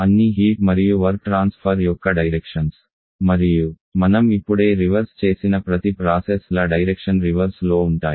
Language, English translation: Telugu, Directions of all heat and work transfer and also the direction of each of the processes we have just reversed in